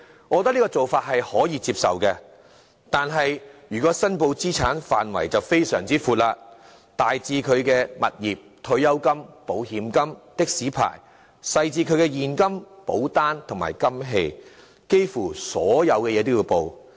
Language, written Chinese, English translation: Cantonese, 我認為這項要求可以接受，但資產申報的範圍便非常寬闊，大至其物業、退休金、保險金及的士牌照；小至其現金、保單和金器，幾乎所有項目也要申報。, Thus I think such a requirement of declaration is acceptable . However for declaration of assets the scope is very broad covering both substantial items like real estate properties pensions insurance statements and taxi licences as well as other items like cash insurance policies and jewellery